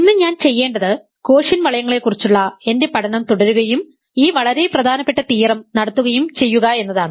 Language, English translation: Malayalam, So, what I want to do today is to continue my study of quotient rings and do this very important theorem